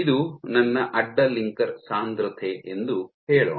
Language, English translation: Kannada, So, let us say this is my cross linker concentration